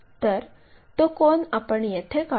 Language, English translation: Marathi, So, that angle we will align it